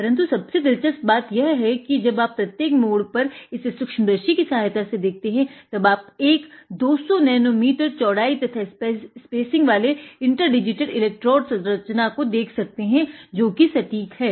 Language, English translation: Hindi, There are lots of twists and turns on this design but the interesting thing is that when you look it under the microscope at every turn, you can see an inter digitated electrode structure of 200 nano meter spacing and width; that is the precision